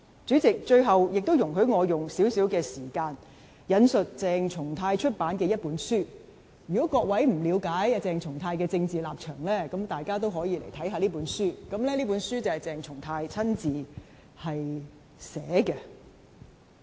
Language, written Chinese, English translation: Cantonese, 主席，最後，請容許我花少許時間，引述鄭松泰出版的一本書，如果各位不了解鄭松泰的政治立場，大可讀讀這本鄭松泰親自撰寫的書。, Lastly President please allow me to spend some time quoting a book published by CHENG Chung - tai . Honourable colleagues who do not understand the political stance of CHENG Chung - tai can read the book authored by him